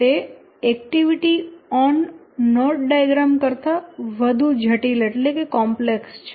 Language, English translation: Gujarati, It is much more complicated than the activity on node diagram